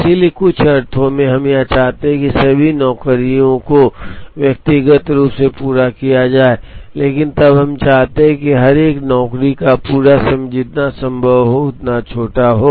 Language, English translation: Hindi, So, in some sense, we want all the jobs to be completed individually, but then we want the completion times of each one of the job to be as small as possible